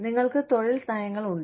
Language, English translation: Malayalam, You could have employment policies